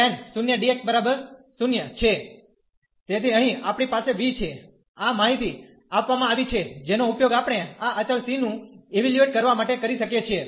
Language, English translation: Gujarati, So, here we have phi 0 is 0, this information is given which we can use here to evaluate this constant c